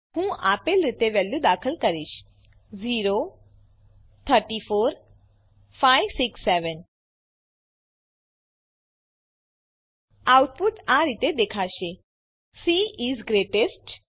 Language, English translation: Gujarati, I will enter the values as, The output is displayed as, c is greatest